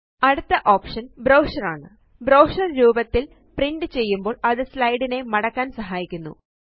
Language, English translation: Malayalam, The next option, Brochure, allows us to print the slides as brochures, for easy binding